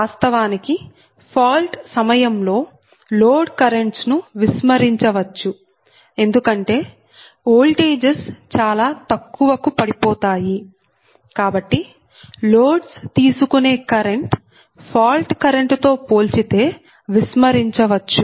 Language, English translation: Telugu, right, so during fault, actually load currents can be neglected, right, because voltage is deep, very low, so that the current drawn by loads can be neglected in comparison to fault current